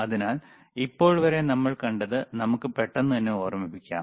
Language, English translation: Malayalam, So, what we have seen until now, let us quickly recall right